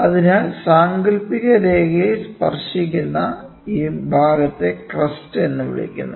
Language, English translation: Malayalam, So, this portion where it is touching the imaginary line it is called as the crest